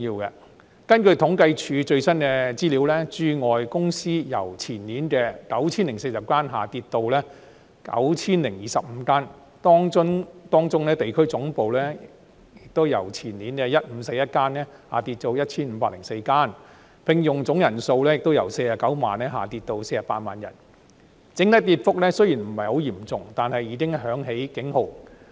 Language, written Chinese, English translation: Cantonese, 根據政府統計處的最新資料，駐外公司由前年的 9,040 間下跌至 9,025 間，當中地區總部由前年的 1,541 間下跌至 1,504 間，聘用總人數亦由49萬人下跌至48萬人；雖然整體跌幅不算嚴重，但已響起警號。, According to the latest data from the Census and Statistics Department the number of business operations in Hong Kong with parent companies located outside Hong Kong has dropped from 9 040 two years ago to 9 025 among which the number of regional headquarters has dropped from 1 541 two years ago to 1 504 and the total number of persons employed has fallen from 490 000 to 480 000